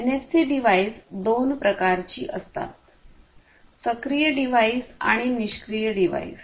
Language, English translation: Marathi, And a NFC device can be of any two types, active device or passive device